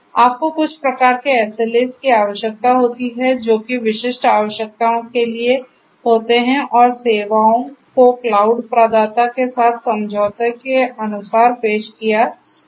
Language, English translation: Hindi, So, you need to have some kind of SLAs which will catering to the specific requirements that are there and the services should be offered as per the agreement with the cloud provider right